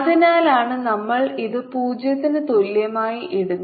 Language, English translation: Malayalam, so that is why we are putting in it equal to it